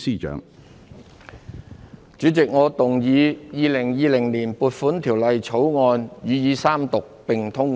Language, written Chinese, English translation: Cantonese, 主席，我動議《2020年撥款條例草案》予以三讀並通過。, President I move that the Appropriation Bill 2020 be read the Third time and do pass